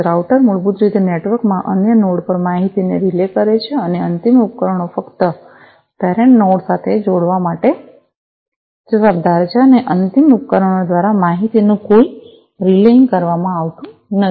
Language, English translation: Gujarati, The router basically relays the information to other nodes in the network, and the end devices are only responsible to connect to the parent node, and no relaying of information is done by the end devices